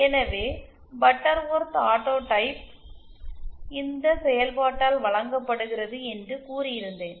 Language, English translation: Tamil, So, I said that the Butterworth autotype is given by this function